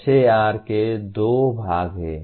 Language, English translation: Hindi, SAR has two parts